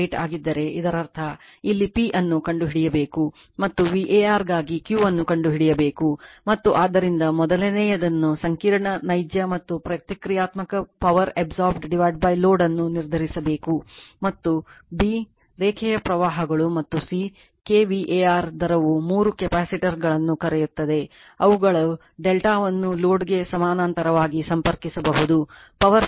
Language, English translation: Kannada, 8 ; that means, here you have to find out P and for the V A r you have to find out the Q right , and therefore, you have to determine , first one , the complex, real and reactive power absorbed by the load , and b) the line currents and c) the kVAr rate you have the your what you call three capacitors, which are , can delta connect in parallel with load right that, I will show you to raise the power factor to 0